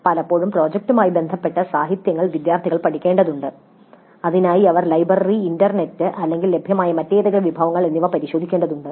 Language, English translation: Malayalam, Quite often the literature related to the project has to be studied by the students and for that sake they have to either consult the library or internet or any other resources available